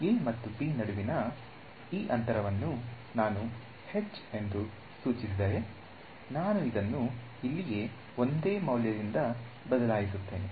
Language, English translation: Kannada, If this gap between a and b I denote as h, I replace this by one single value over here right